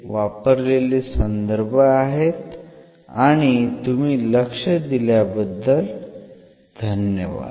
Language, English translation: Marathi, These are the references used, and thank you for your attention